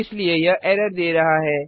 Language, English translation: Hindi, Hence it is giving an error